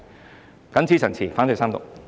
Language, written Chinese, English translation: Cantonese, 我謹此陳辭，反對三讀。, With these remarks I oppose the Third Reading